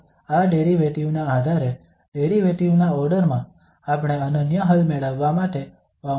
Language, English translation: Gujarati, So depending on this derivative, the order of the derivative we have to prescribe the boundary conditions to, in order to get the unique solution